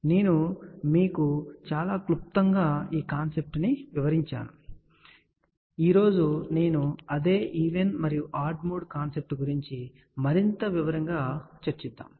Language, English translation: Telugu, So, I had explained you the concept very briefly, but today I am going to talk about that same even an odd mode concept in much more detail